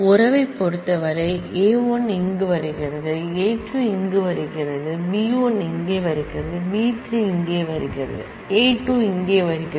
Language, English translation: Tamil, In terms of relation, alpha 1 is coming here, alpha 2 is coming here, beta 1 is coming here, beta 3 is coming here and alpha 2 is coming here